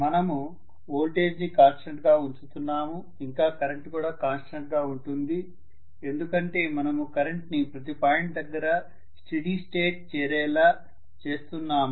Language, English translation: Telugu, You are keeping the voltage constant your current remains as a constant because you are allowing it to reach steady state at every point